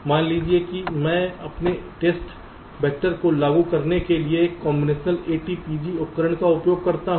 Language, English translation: Hindi, suppose i use a combinational a t p g tool to generate my test vectors